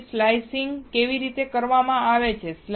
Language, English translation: Gujarati, So, how the slicing is done